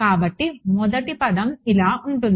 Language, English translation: Telugu, So, the first term will become like this